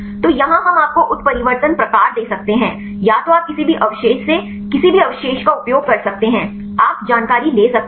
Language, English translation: Hindi, So, here we can give the mutation type either you can use from any residues to any residues you can take the information